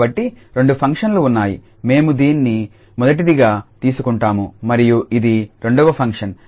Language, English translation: Telugu, So, there are two functions this we will take as first and this is second function